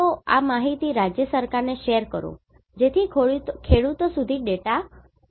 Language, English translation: Gujarati, So share these information to the state government to inform farmers and data dissemination